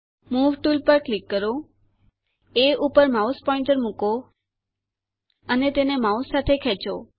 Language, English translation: Gujarati, Click on the Move tool, place the mouse pointer on A and drag it with the mouse